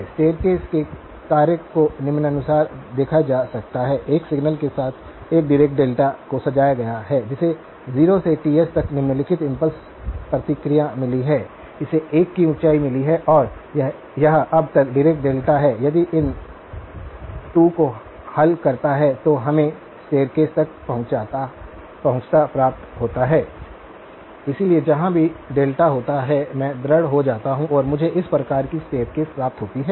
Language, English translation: Hindi, The staircase function can be viewed as follows as a Dirac delta convolved with a signal which has got the following impulse response from 0 to Ts, it has got a height of 1 and this is a Dirac delta now, if I convolve these 2, then we get the staircase approximation, so wherever the delta occurs I convolve and I get this sort of staircase approximation